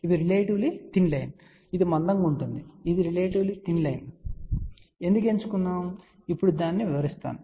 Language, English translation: Telugu, You can see that this is relatively thin line this is thicker this is relatively thin line; why we have chosen that I will explain that now